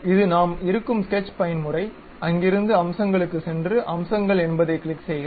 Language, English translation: Tamil, This is the Sketch mode where we are in; from there go to Features, click Features